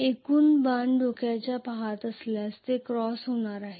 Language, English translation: Marathi, If am looking at the arrow head from here it is going to be a cross